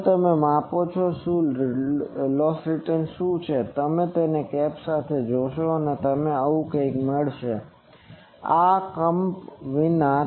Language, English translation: Gujarati, Now, measure the a what is that the return loss, so you will get you see with the cap you will get something like this and without the cap this